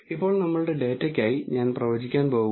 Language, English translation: Malayalam, Now, for our data I am going to use predict